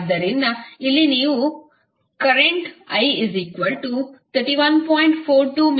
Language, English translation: Kannada, So, here you will get current I is equal to 31